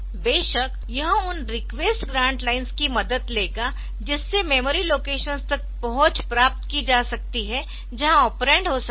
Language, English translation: Hindi, Of course, it will take a help of that request grant lines to take to get accessed to the memory locations where the operands may be there